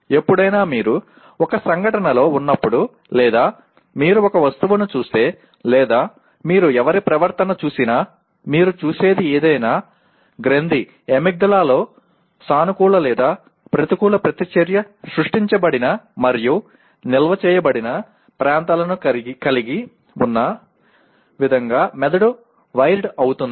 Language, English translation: Telugu, Anytime you are in an event or you look at an object or you anybody’s behavior, anything that you look at, the brain is wired in such a way the gland amygdala has regions where a positive or negative reaction is created and stored even